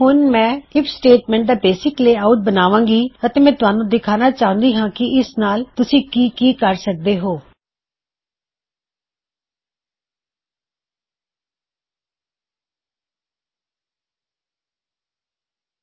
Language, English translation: Punjabi, Now if I start creating my basic layout for my if statement i will get to work on showing you what you can do with these